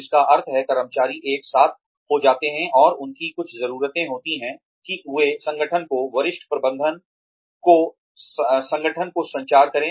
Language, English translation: Hindi, Which means, the employees get together, and , they have certain needs, that they communicate to the organization, to the senior management, in the organization